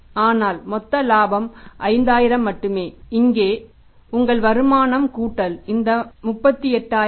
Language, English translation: Tamil, But the gross profit is only 5,000 and here you are earning this plus this is 38,000